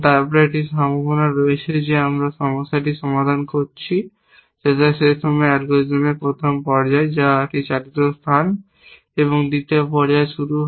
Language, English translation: Bengali, Then there is a possibility that we have solved the problem so that at that point, the first stage of the algorithm which is a powered space and the second stage begin